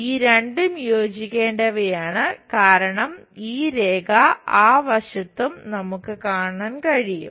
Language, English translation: Malayalam, And these two supposed to get joined because this line on that side on that side also we will see